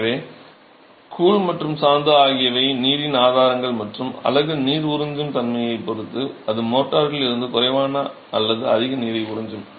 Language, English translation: Tamil, So, the grout and the motor are sources of water and depending on the water absorption property of the unit it sucks up less or more water from the mortar